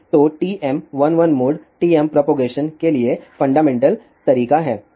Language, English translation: Hindi, So, TM 1 1 mode is the fundamental mode for TM propagation